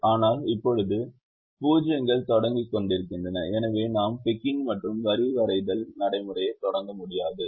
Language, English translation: Tamil, but now the zeros are hanging and therefore we cannot start our ticking and line drawing procedure